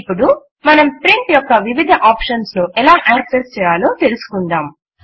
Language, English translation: Telugu, We will now see how to access the various options of Print